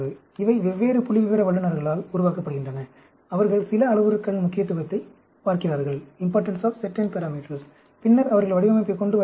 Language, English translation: Tamil, These are generated by different statisticians who do, who look at the importance of certain parameters, and then, they come up with the design